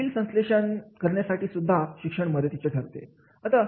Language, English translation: Marathi, Education also help us to develop the complex synthesis